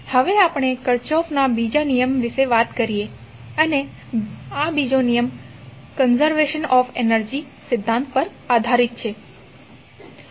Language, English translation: Gujarati, Now, let us talk about the second law of Kirchhoff and this second law is based on principle of conservation of energy